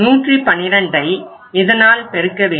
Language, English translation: Tamil, You can multiply this